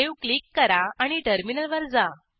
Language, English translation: Marathi, Now, Click on Save and switch to the terminal